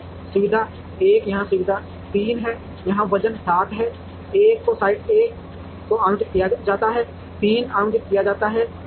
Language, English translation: Hindi, So facility 1 is here facility 3 is here the weight is 7 into 1 is allocated to site 1, 3 is allocated to site 3